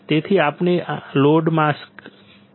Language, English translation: Gujarati, So, we load the mask